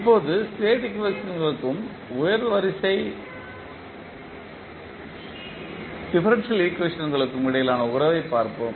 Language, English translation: Tamil, Now, let us see the relationship between state equations and the high order differential equations